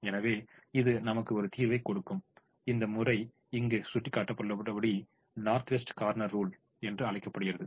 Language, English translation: Tamil, so this method which gives us a solution is called the north west corner rule, as indicated here